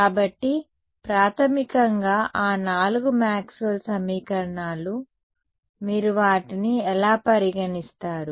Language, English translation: Telugu, So, all basically those four Maxwell’s equations, how you treat them